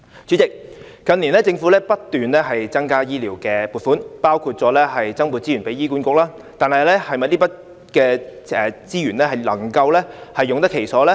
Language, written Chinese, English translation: Cantonese, 主席，近年政府不斷增加醫療撥款，包括增撥資源給醫管局，但這筆資源能否用得其所呢？, President over recent years the Government has forked out more money on healthcare including allocating more resources for HA . But is the money used on the right place?